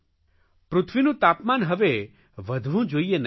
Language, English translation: Gujarati, The earth's temperature should not rise anymore